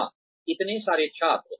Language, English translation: Hindi, Yes, so many students